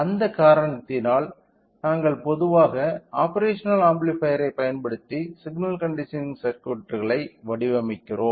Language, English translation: Tamil, So, because of that reason we generally go we design a signal conditioning circuits using operational amplifiers